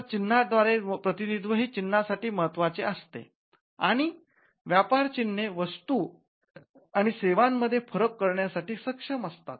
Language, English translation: Marathi, So, graphical representation is key for a mark and which is capable of distinguishing goods and services